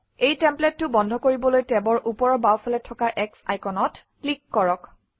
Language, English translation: Assamese, To close the template, click the X icon on the top left of tab